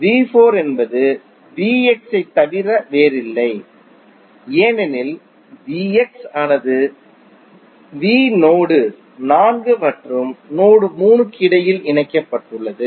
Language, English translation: Tamil, V 4 is nothing but V X because the V X is connected between V the node 4 and node 3